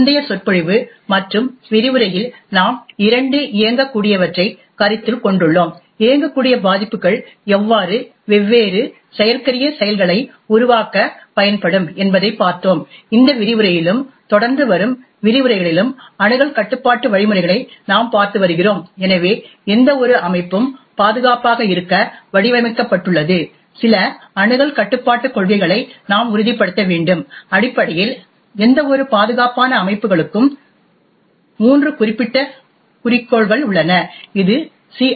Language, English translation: Tamil, In the previous lecture and the lecture that we have seen so far we were considering two executables, we had looked at how vulnerabilities in the executable can be used to create different exploits, in this lecture and the lectures that follow we have been looking at access control mechanisms, so for any system to be, designed to be secure we would have to ensure some access control policies, essentially for any secure systems there are three specific goals it is known as the CIA, confidentiality, integrity and availability